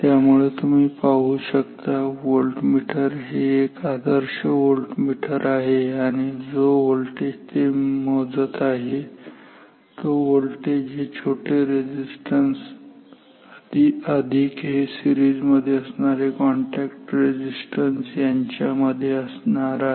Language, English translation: Marathi, So, therefore, and you see the volt the volt this voltmeter this is an ideal voltmeter and the voltage that it is measuring is the voltage across this small resistance plus this series contact resistances